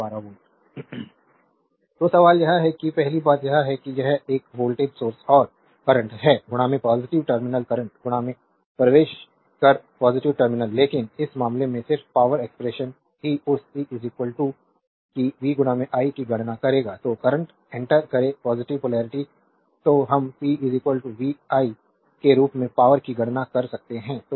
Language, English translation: Hindi, So, question is that that first thing is that this is a voltage source and current entering into the positive terminal right current entering into the positive terminal, but in this case just power expression will calculate that p is equal to you know that v into i therefore, current enter the positive polarity hence we can compute power as p is equal to vi